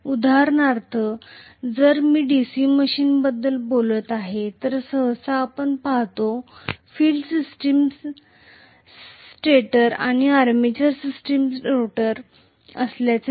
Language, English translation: Marathi, For example, if I am going to talk about DC machine, normally we will see the field system to be the stator, armature system to be the rotor